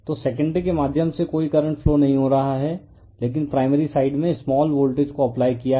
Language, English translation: Hindi, So, no current is flowing through the your what you call secondary, but primary side you have applied your small voltage right